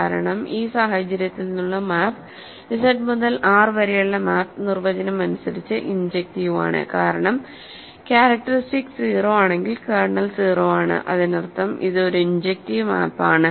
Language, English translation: Malayalam, Because, the map from in this case the map from Z to R is injective by definition because, if the characteristic is 0 kernel is 0; that means, it is a injective map